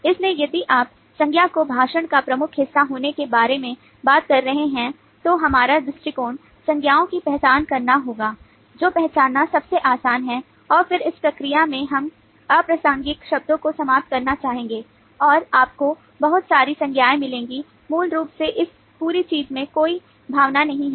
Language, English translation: Hindi, so if you are talking about the noun being the major part of speech, then our approach would be to identify nouns, which is a easiest to identify, and then in the process we would like to eliminate irrelevant terms and you will find lot of nouns which basically does not have a sense in this whole thing